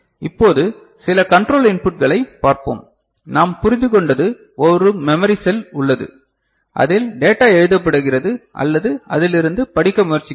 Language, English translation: Tamil, Now, we would look at, we have seen certain control inputs we have understood that there is a memory cell in which it is getting something, data is getting written or we are trying to read from it